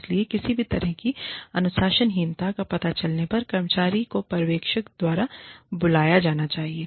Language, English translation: Hindi, So, anytime, any kind of indiscipline is detected, the employee should be called by the supervisor